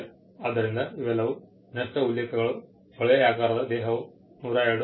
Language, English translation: Kannada, So, these are all the cross references; tubular body is 102